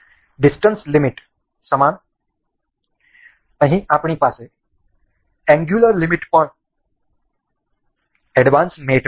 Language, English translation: Gujarati, Similar to the distance limit, we here we have is angular limit also in the advanced mates